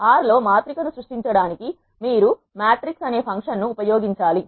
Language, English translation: Telugu, To create a matrix in R you need to use the function called matrix